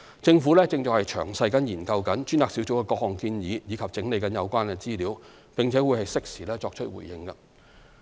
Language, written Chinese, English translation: Cantonese, 政府正詳細研究專責小組的各項建議及整理有關資料，並會適時作出回應。, The Government is carefully studying the various recommendations of the Task Force and consolidating the relevant information and will respond in due course